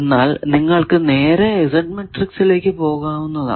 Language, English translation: Malayalam, So, this will be the Z matrix